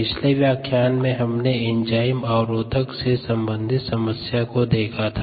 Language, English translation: Hindi, when we finished up the last lecture we had looked at ah problem on in enzyme inhibition ah